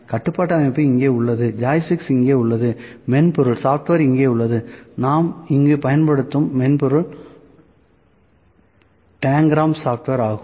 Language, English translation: Tamil, So, control system is here, joystick is here, software is here, software that we use here is Tangram software, ok